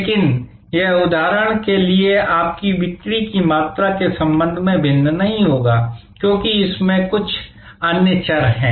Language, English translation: Hindi, But, it will not vary with respect to your volume of sales for example, because that has many other variables embedded in that